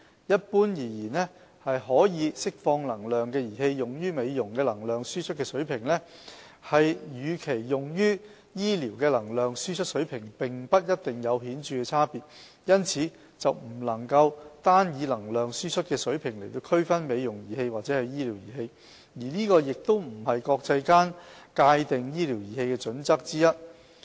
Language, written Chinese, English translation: Cantonese, 一般而言，可釋放能量的儀器用於美容的能量輸出水平，與其用於醫療的能量輸出水平並不一定有顯著差別，因此不能單以能量輸出水平來區分"美容儀器"或"醫療儀器"，而這亦不是國際間界定醫療儀器的準則之一。, Generally speaking the level of energy output used for cosmetic purposes and that used for medical purposes for energy - emitting devices may not have significant difference . As such the level of energy output alone cannot be used to distinguish a cosmetic device from a medical device . This is also not a criteria for defining a medical device internationally